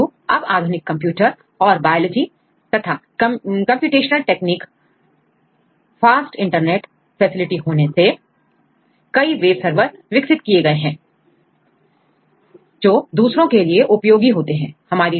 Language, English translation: Hindi, But currently due to the advancements of these computers and biology and computational techniques, and fast internet facilities several webservers have been developed to give the applications to the others right